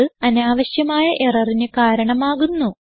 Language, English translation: Malayalam, And this gives unnecessary errors